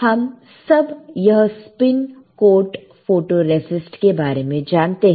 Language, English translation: Hindi, We all know this spin coat photoresist